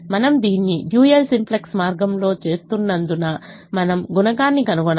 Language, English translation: Telugu, since we are doing it the dual simplex way, we have to find out the coefficient